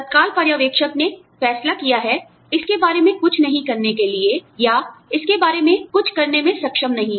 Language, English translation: Hindi, The immediate supervisor has decided, not to do, anything about it, or, has not been able to do, something about it